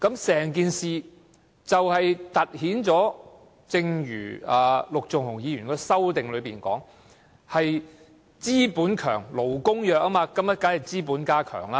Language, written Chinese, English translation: Cantonese, 這凸顯了——正如陸頌雄議員的修正案所述——"強資本，弱勞工"的情況。, It underscores as stated in Mr LUK Chung - hungs amendment the situation of strong capitalists and weak workers